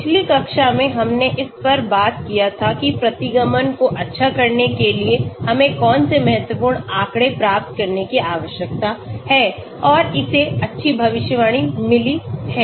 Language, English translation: Hindi, The previous class we talked about what are the important statistics we need to obtain in order to say the regression is good and it has got good predictability